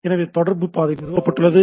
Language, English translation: Tamil, So, that the communication path is established